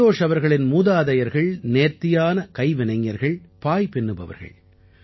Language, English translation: Tamil, Santosh ji's ancestors were craftsmen par excellence ; they used to make mats